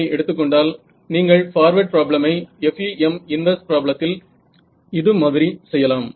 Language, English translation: Tamil, So, you could do forward problem in FEM inverse problem like this right and